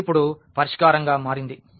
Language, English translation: Telugu, So, that this has become the solution now